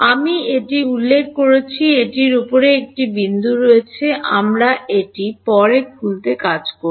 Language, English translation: Bengali, I have mentioned it this has a dot on top we will work it open it up later